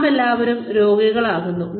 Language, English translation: Malayalam, We all fall sick